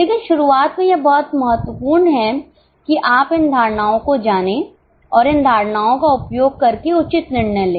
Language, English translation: Hindi, But in the beginning it is very important that you know these assumptions and using these assumptions come out with a fair decision